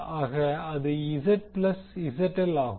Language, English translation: Tamil, So, that is Zth plus ZL